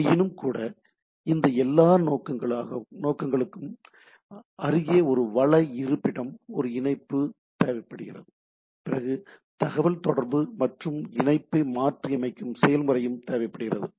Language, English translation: Tamil, Nevertheless for all these purposes what we have there is a resources location, a connection establishment is required, then the communication and then a connection teardown process required